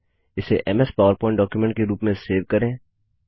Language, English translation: Hindi, Save it as a MS Powerpoint document